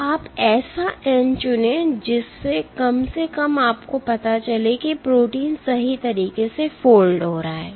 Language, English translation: Hindi, So, you choose n such that at least you know that the protein is folding properly